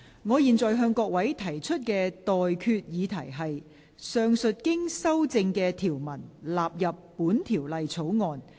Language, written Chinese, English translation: Cantonese, 我現在向各位提出的待決議題是：上述經修正的條文納入本條例草案。, I now put the question to you and that is That the clauses as amended stand part of the Bill